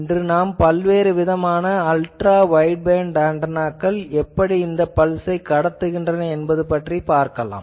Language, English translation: Tamil, But today we will see both various types of Ultra wideband antennas that can pass that type of pulses